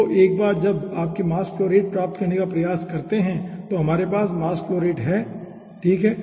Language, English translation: Hindi, so once we try to get the mass flow rate, you, here we are having the mass flow rate